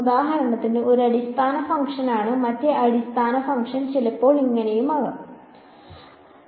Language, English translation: Malayalam, So for example, this is one basis function the other basis function can be sometimes like this and so on